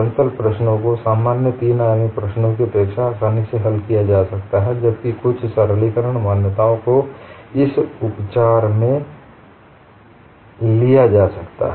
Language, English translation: Hindi, Plane problems can be solved easily than the general three dimensional problems since certain simplifying assumptions can be made in their treatment, that makes your life lot more simpler